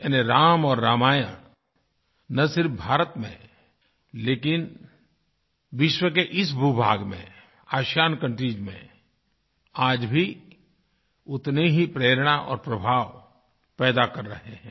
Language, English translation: Hindi, This signifies that Ram & Ramayan continues to inspire and have a positive impact, not just in India, but in that part of the world too